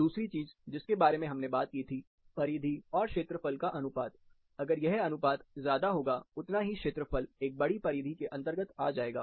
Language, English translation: Hindi, Then another thing which we can translate, we talked about is a perimeter to area ratio, large perimeter to area ratio, same area under a large perimeter